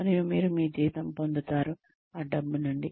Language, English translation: Telugu, And, you get your salary, out of that lots of money